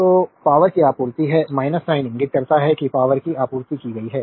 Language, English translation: Hindi, So, power supplied is minus sign indicates power supplied